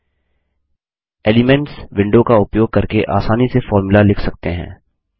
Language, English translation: Hindi, Using the Elements window is a very easy method of writing a formula